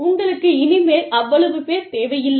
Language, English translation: Tamil, Then, you do not need, that many people, anymore